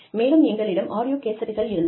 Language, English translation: Tamil, And, we had audio cassettes